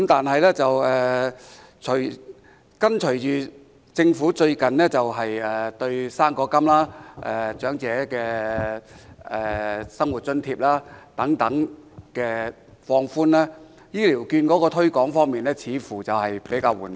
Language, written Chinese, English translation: Cantonese, 不過，隨着政府最近放寬高齡津貼及長者生活津貼等的相關規定，醫療券的推廣工作似乎較為緩慢。, However following the Governments recent relaxation of requirements for the Old Age Allowance Old Age Living Allowance etc the promotion work for HCVs seems to be comparatively slow